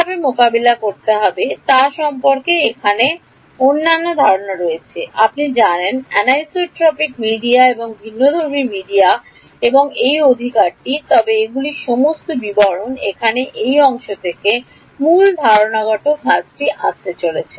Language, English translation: Bengali, There are other concepts here about how to deal with, you know, anisotropic media and heterogeneous media and all of that right, but those are all details the main conceptual work is going to come from this part over here